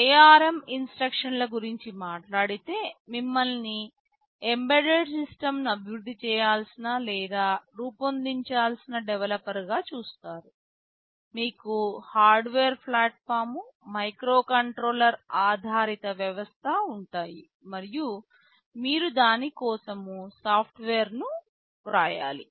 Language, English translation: Telugu, Talking about the ARM instruction set, you see as a developer you need to develop or design an embedded system, you will be having a hardware platform, a microcontroller based system and you have to write software for it